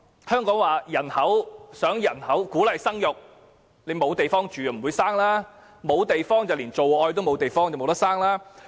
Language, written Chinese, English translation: Cantonese, 香港想鼓勵生育，但沒有地方居住，便沒有地方做愛，也就無法生育。, We encourage people to have children but if there is no place to live in people will have no place to make love and they cannot give birth